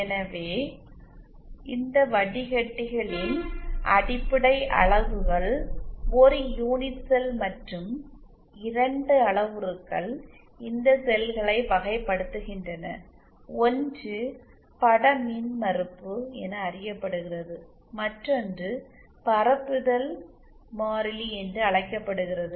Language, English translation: Tamil, So the basic fundamental units of this filter is a unit cell and two parameters characterize these cells, one is what is that knows as the image impedance, and the other is known as the propagation constant